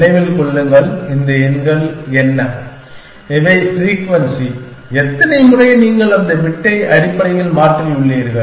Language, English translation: Tamil, Remember that, what these numbers are, these are the frequency of how many times you have changes that bit essentially